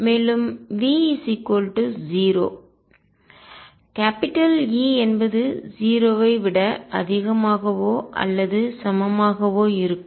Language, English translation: Tamil, And necessarily v 0 e is going to be greater than or equal to 0